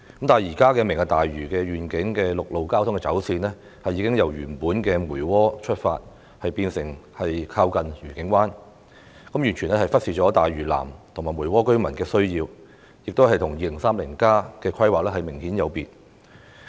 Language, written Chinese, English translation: Cantonese, 但是，現時提出的"明日大嶼願景"的陸路交通走線，已由原來從梅窩出發變成靠近愉景灣，完全忽視了大嶼南和梅窩居民的需要，並明顯有別於《香港 2030+》的規劃。, However as reflected by the road traffic route proposed now for the Lantau Tomorrow Vision Mui Wo will no longer be adopted as the starting point and the whole alignment has shifted to the direction towards Discovery Bay . As a result the needs of residents in South Lantau and Mui Wo will be totally neglected and such a design has obviously deviated from the planning made in Hong Kong 2030 Study